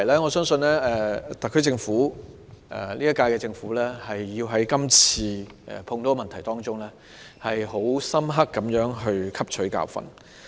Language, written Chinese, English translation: Cantonese, 我相信今屆特區政府需要從這次事件中，就所有這些問題深刻汲取教訓。, I believe it is necessary for the current - term SAR Government to learn a bitter lesson on all of these issues from this incident